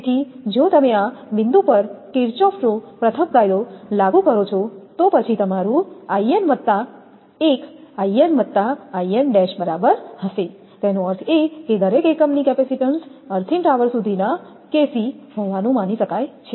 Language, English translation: Gujarati, So, if you apply at this point Kirchhoff’s first law, then your In plus 1 will be is equal to In plus In dash right; that means, the capacitance of each unit to the earthed tower can be assumed to be kc